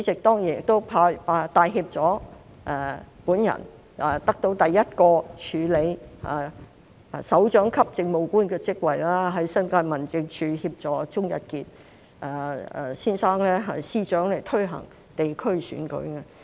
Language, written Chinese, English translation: Cantonese, 當年亦帶挈我得到第一個署理首長級政務官的職位，在新界民政處協助鍾逸傑司長推行地區選舉。, That year I was given an opportunity to act up a directorate Administrative Officer post for the first time to assist Secretary Sir David AKERS - JONES in the New Territories District Office to implement district elections